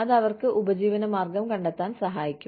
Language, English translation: Malayalam, That can help them, earn their living